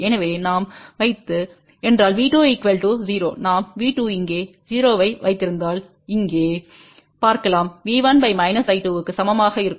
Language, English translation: Tamil, So, if we put V 2 equal to 0, so we can see here if V 2 is put 0 here then V 1 divided by minus I 2 will be equal to B